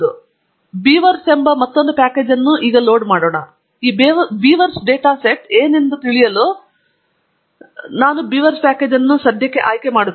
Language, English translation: Kannada, So, letÕs load another package called Beavers, and to know what these Beavers data set is about, we will go back to the help, and pick the BeaverÕs package